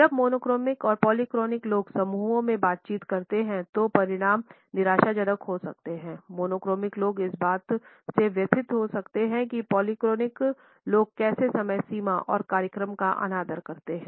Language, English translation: Hindi, When monochronic and polyphonic people interact in groups the results can be frustrating, monochromic people can become distressed by how polyphonic people seem to disrespect deadlines and schedules